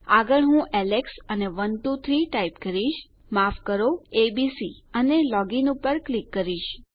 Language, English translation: Gujarati, Next Ill type Alex and 123, sorry abc and click log in